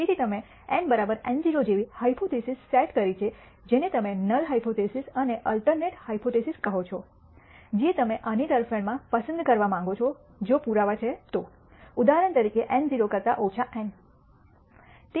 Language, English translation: Gujarati, So, you set up the hypothesis such as eta equals eta naught which you call the null hypothesis and the alternative hypothesis which you want to choose in favor of this if the evidence is there from the data such as for example, eta less than eta naught